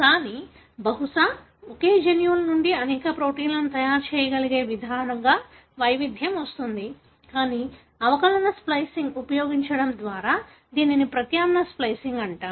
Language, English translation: Telugu, But, perhaps the diversity comes in the way we are able to make several proteins out of the same genes, but by using differential splicing, what is called as alternate splicing